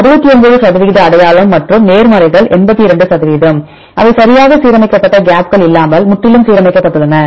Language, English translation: Tamil, 69 percent identity and the positives are 82 percent, there is a completely aligned without gaps they aligned right